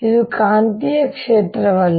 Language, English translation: Kannada, it is not the magnetic field